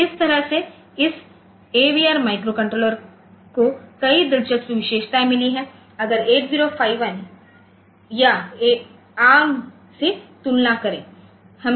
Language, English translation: Hindi, So, this way this AVR microcontroller has got many interesting features like say compare to 8051 or even arm